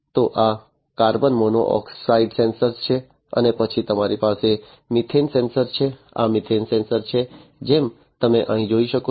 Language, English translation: Gujarati, So, this is the carbon monoxide sensor and then you have the methane sensor, this is the methane sensor, as you can see over here